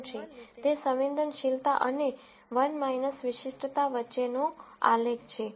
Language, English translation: Gujarati, What this ROC curve is, is, a graph between sensitivity and 1 minus specificity